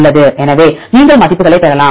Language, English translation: Tamil, So, you can get the values